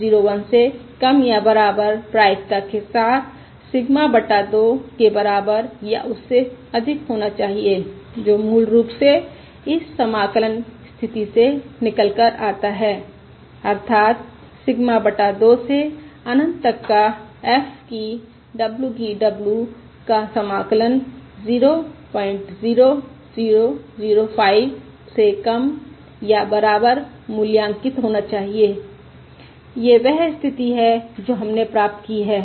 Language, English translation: Hindi, That it should be greater than or equal to Sigma by 2, with probability less than or equal to point 0001, which is basically reduced to this integral condition, that is, the integral evaluated between Sigma by 2 to infinity f of w, d, w should be less than or equal to point 00005